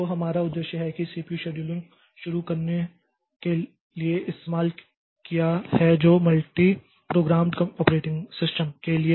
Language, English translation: Hindi, So, so objective that we have is to introduce CPU scheduling which is the basis for multi programmed operating systems